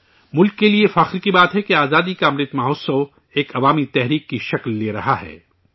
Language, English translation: Urdu, It is a matter of pride for the country that the Azadi Ka Amrit Mahotsav is taking the form of a mass movement